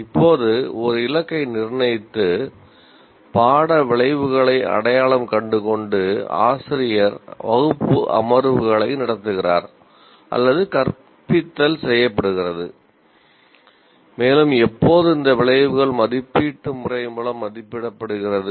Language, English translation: Tamil, The course outcomes are having identified course outcomes, the teacher conducts the class sessions or the instruction is performed and then these outcomes are assessed through an assessment pattern